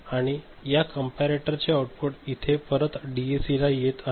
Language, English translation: Marathi, And this comparator output is now coming back to this DAC right